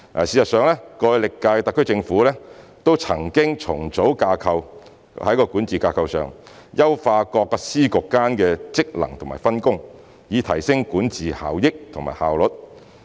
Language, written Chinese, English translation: Cantonese, 事實上，歷屆特區政府都曾經重組管治架構，在管治架構上優化各司局間的職能及分工，以提升管治效益和效率。, In fact the Governments of various terms have reorganized their governance structure by optimizing the functions and the division of duties and responsibilities among various bureaux and departments within the governance structure so as to enhance the effectiveness and efficiency of governance